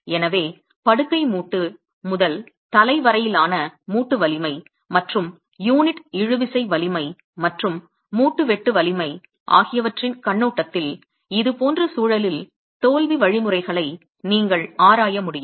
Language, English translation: Tamil, So, you should be able to examine the failure mechanisms in such contexts both from the perspective of bed joint to head joint strength versus unit tensile strength versus the joint shear strength itself